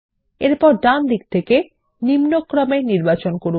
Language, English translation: Bengali, Next, from the right side, select Descending